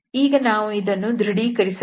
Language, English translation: Kannada, So we have to verify this